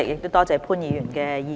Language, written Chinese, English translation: Cantonese, 多謝潘議員的意見。, I thank Mr POON for his views